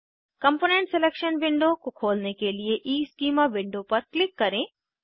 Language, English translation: Hindi, Click on EESchema window to open the component selection window